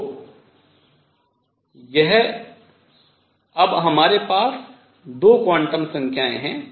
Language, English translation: Hindi, More importantly what we have are now 3 quantum numbers